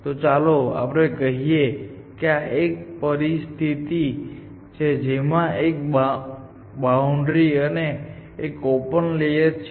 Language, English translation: Gujarati, So let us say this is a situation this is a boundary layer this is the open layer